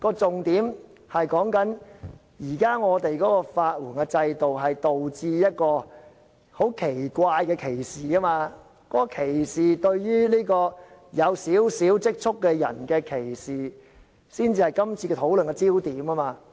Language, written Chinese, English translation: Cantonese, 重點是，現在的法援制度導致一種很奇怪的歧視，這是對於有少許積蓄的人的歧視，這才是討論的焦點。, This is not the point; rather we should consider the very strange scenario created by the legal aid system and that is discrimination against people who have some savings